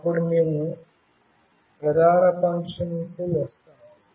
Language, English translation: Telugu, Then we come to the main function